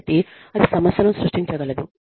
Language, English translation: Telugu, So, that can create a problem